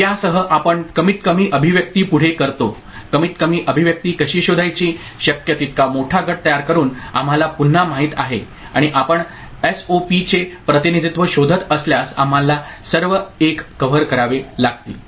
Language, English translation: Marathi, So, with this we go ahead with the minimized expression; how to find the minimized expression we know again by forming the larger group possible and we have to cover all the 1s if you are looking for SOP representation right